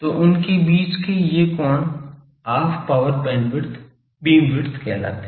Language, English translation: Hindi, So, these angle between them that is called Half Power Beamwidth